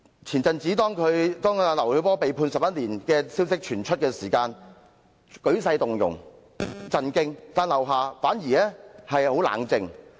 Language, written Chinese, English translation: Cantonese, 前陣子劉曉波被判11年的消息傳出，舉世動容、震驚，但劉霞反而很冷靜。, At the time when LIU Xiaobo was sentenced to 11 years of imprisonment people across the world were aroused and shocked but LIU Xia was very composed instead